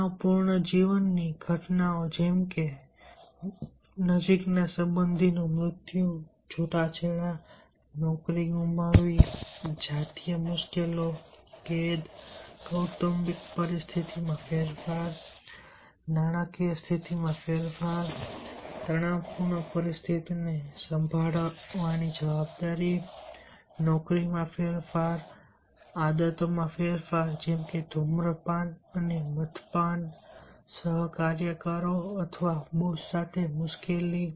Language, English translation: Gujarati, these are called the life events, stressful life events such as death of a close relative, divorce, loss of job, sexuality, diff difficulties, imprisonment, change in family conditions, change in financial conditions, responsibility of handling a stressful situation, change of job, change of habits like smoking and drinking, trouble with co workers or boss